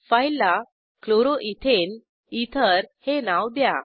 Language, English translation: Marathi, Enter the file name as Chloroethane ether